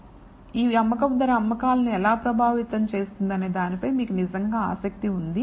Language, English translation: Telugu, So, you are really interested in how this selling price affects sales